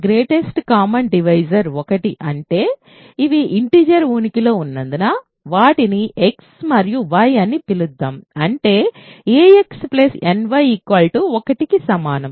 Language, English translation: Telugu, Right the gcd: greatest common divider is 1; that means, there exist integers let us call them x and y such that ax plus ny is equal to 1